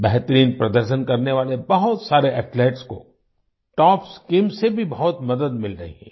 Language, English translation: Hindi, Many of the best performing Athletes are also getting a lot of help from the TOPS Scheme